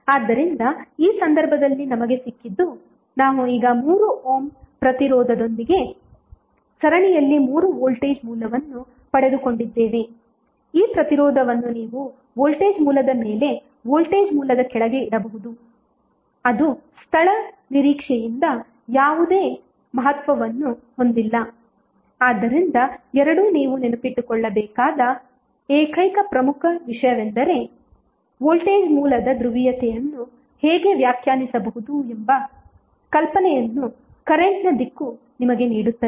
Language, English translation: Kannada, So in this case what we have got, we have got 3 voltage source in series with 3 ohm resistance now, this resistance you can either put above the voltage source below the voltage source it does not have any significance from location prospective so, both would be same either you put up side or down ward the only important thing which you have to remember is that, the direction of current will give you the idea that how the polarity of the voltage source would be define